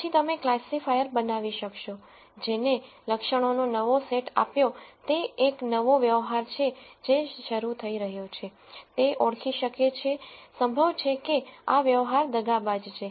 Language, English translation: Gujarati, Then you could build a classifier which given a new set of attributes that is a new transaction that is being initiated, could identify what likelihood it is of this transaction being fraudulent